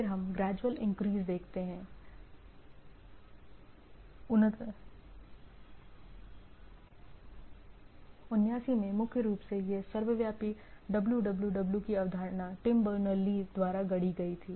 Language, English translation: Hindi, Then we see gradual increase 89, primary this, our omnipresent dub dub dub or “WWW” concept was coined by Tim Berners Lee